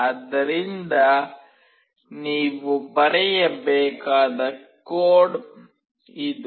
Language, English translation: Kannada, So, this is the code that you have to write